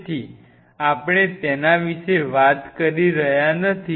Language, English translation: Gujarati, So, we are not talking about it